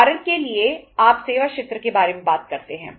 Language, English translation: Hindi, Say for example you talk about the services sector